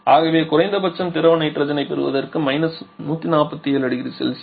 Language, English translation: Tamil, So, we at least to get liquid nitrogen we have to lower the temperature below this 147 degree Celsius